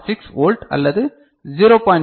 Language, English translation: Tamil, 6 volt or 0